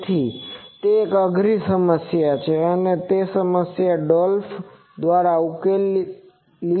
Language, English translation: Gujarati, So, that is an optimum problem and that problem was solved by Dolph